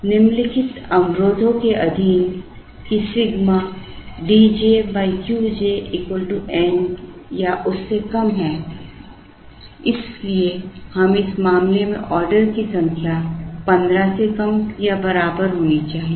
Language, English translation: Hindi, Subject to the constraint that D j by Q j sigma is less than or equal to some N so in this case the number of order should be less than or equal to 15